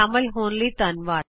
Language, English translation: Punjabi, Ltd Thanks for joining